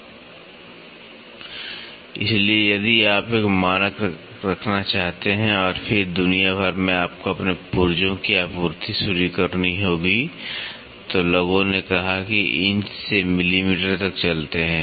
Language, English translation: Hindi, So, if you want to have a standard and then across the world you have to start supplying your parts then people said that from inches let us move to millimetre